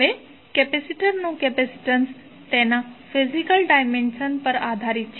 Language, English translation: Gujarati, Now, capacitance of a capacitor also depends upon his physical dimension